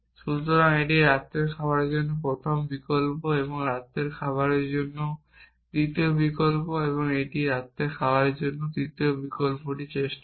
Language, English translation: Bengali, So, it tries the first option for dinner and the second option for dinner and the third option for dinner